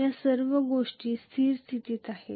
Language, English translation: Marathi, All these things are in steady state